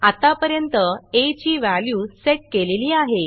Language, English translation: Marathi, So far, as value has been set